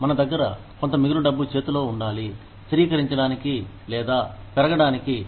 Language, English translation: Telugu, We have to have, some surplus money in hand, in order to, stabilize or grow